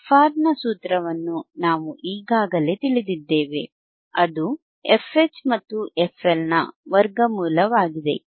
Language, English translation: Kannada, We already know the formula for frR, frwhich is square root of fH into f L